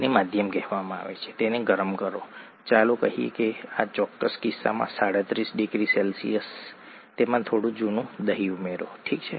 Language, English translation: Gujarati, It’s called the medium, warm it up to, let’s say, 37 degree C in this particular case, add some old curd to it, okay